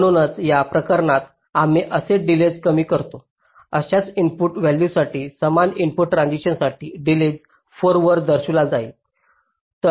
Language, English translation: Marathi, so for this case, as soon as we reduce the delay for the same input values, same input transition, the delay is be showing at four